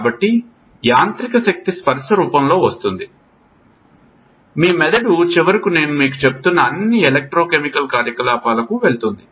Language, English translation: Telugu, So, mechanical energy comes in the form of a touch your brain finally goes to all electrochemical activity what I was telling you